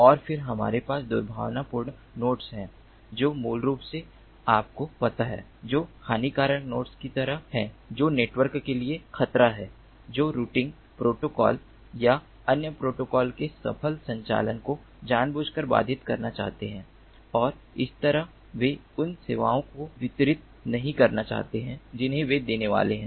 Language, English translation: Hindi, and then we have the malicious nodes which are basically, you know, which are like harmful nodes, which are a threat to the network, which want to successful, deliberately disrupt the successful operation of the routing protocol or other protocols and thereby they do not want to deliver the services that they are supposed to deliver